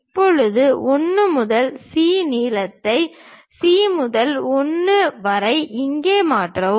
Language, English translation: Tamil, Now, transfer 1 to C length from C to 1 here